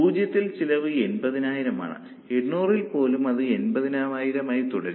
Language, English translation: Malayalam, At 0, the cost is something like 80,000 and even at 800 it remains at 80,000